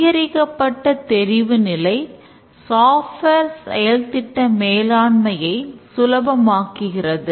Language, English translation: Tamil, The increased visibility makes software project management much easier